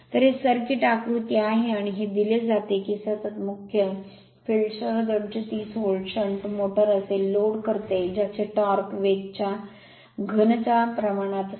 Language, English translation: Marathi, So, look this is the circuit diagram right and it is given that your what you call that 230 volt shunt motor with a constant main field drives a load whose torque is proportional to the cube of the speed